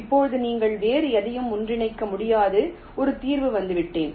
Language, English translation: Tamil, now i have arrived at a solution where you cannot merge anything else any further